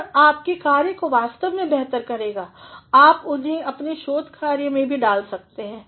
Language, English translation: Hindi, That will actually make your work become better and you can also include them in your research work